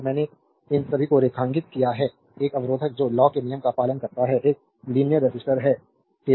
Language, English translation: Hindi, So, I have underlined these one so, a resistor that obeys Ohm’s law is known as a linear register